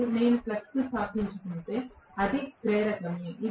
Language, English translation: Telugu, And, if I am establishing the flux it is inductive